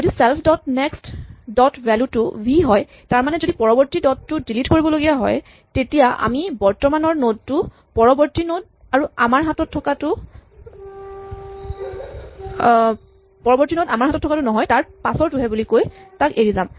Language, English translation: Assamese, If the self dot next dot value is v that is if the next node is to be deleted then we bypass it by saying the current nodeÕs next is not the next node that we had, but the next nodeÕs next